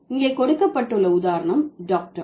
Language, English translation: Tamil, The example given here is doctor